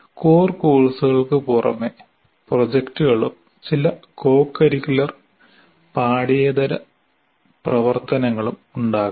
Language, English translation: Malayalam, And though there are besides core courses, you may have projects and some co curricular and extra curricular activities, dominantly P